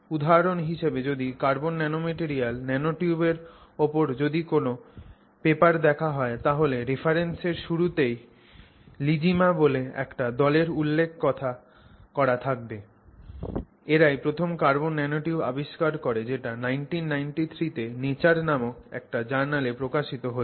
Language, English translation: Bengali, And so if you see any paper associated with carbon nanomaterial nanotube work, invariably there will be a reference right at the beginning which says that the group of Igima and co workers discovered carbon nanotubes and that is published in a, you know, in nature in 1993